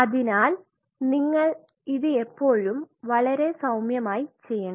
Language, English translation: Malayalam, So, you will always have to do it very gently